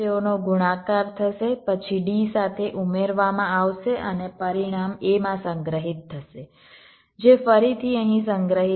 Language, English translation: Gujarati, they would get multiplied, then added with d and the result will be stored in a, which again would be stored here